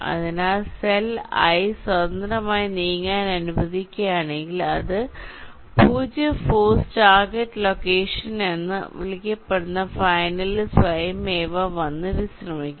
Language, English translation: Malayalam, so if we allow the cell i to move freely, it will automatically come and rest in its final so called zero force target location